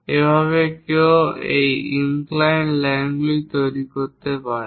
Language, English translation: Bengali, This is the way one can really construct these inclined lines